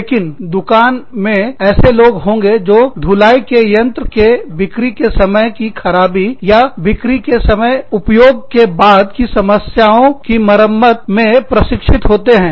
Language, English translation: Hindi, But, the shop also has people, trained in repairing the washing machines, that are either faulty, at the time of sale, or, have problems, after a period of selling, after use